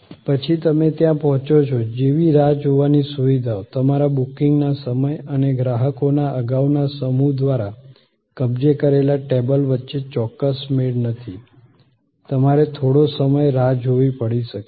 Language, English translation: Gujarati, Then, waiting facilities like you arrive there, there is not an exact match between your time of booking and the table occupied by the previous set of customers, you may have to wait for little while